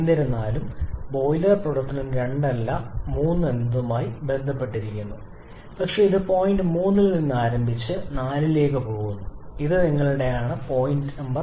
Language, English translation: Malayalam, However, the boiler operation is associated with not 2 but it starts from point 3 and proceeds to point 4 and this is your point number 4